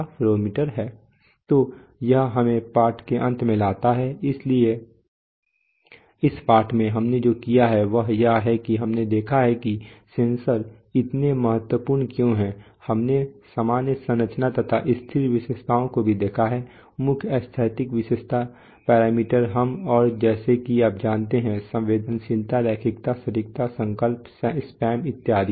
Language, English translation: Hindi, So this brings us to the end of the lesson, so what we have done in this lesson is, that we have seen why sensors are so important, we have also seen there, there general structure we have looked at the static characteristic, main static characteristic parameters and like you know, sensitivity, linearity, accuracy, resolution, spam etc